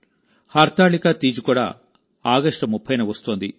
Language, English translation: Telugu, Hartalika Teej too is on the 30th of August